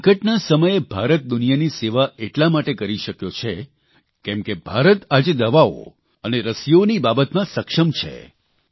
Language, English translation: Gujarati, During the moment of crisis, India is able to serve the world today, since she is capable, selfreliant in the field of medicines, vaccines